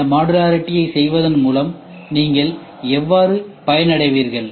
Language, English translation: Tamil, And then how do you benefit by doing this modularity